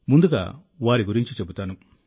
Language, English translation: Telugu, Let me first tell you about them